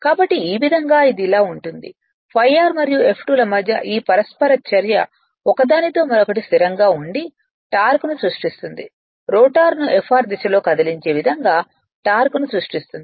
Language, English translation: Telugu, So, this interaction [be/between] between phi r and F2 right which are stationary is respect each other creates the torque and tending to move the rotor in the direction of Fr